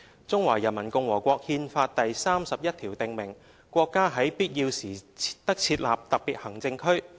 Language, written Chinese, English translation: Cantonese, 《中華人民共和國憲法》第三十一條訂明："國家在必要時得設立特別行政區。, As stipulated in Article 31 of the Constitution of the Peoples Republic of China [t]he State may establish special administrative regions when necessary